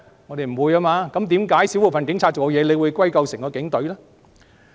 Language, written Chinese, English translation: Cantonese, 那為甚麼少部分警察的行為會歸究整支警隊呢？, In that case why would the Police Force as a whole be blamed due to the conduct of a small group of police officers?